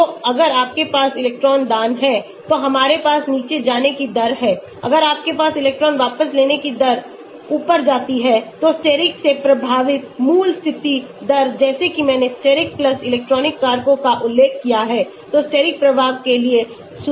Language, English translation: Hindi, So, if you have electron donating then we have the rate going down if you have electron withdrawing rate goes up, So, basic condition rate affected by steric like I mentioned steric+electronic factors so give sigma1 after correction for steric effect